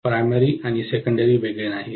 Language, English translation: Marathi, The primary and secondary are not isolated